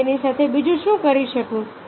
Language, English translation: Gujarati, what else can i do with it